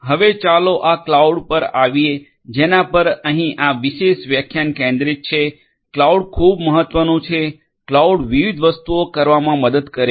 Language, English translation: Gujarati, Now, let us come to this cloud which is the focus over here of this particular lecture, cloud is very important, cloud helps in doing number of different things